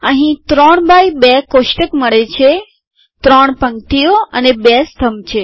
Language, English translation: Gujarati, We get the 3 by 2 table, there are three rows and 2 columns